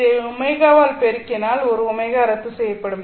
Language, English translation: Tamil, Multiplying this one by omega will cancel out an omega here